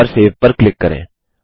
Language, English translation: Hindi, Click on File Save As